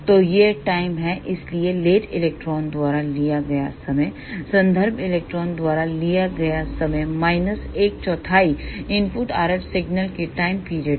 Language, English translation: Hindi, So, time taken by late electron will be time taken by reference electron minus one fourth of the time period of the input RF signal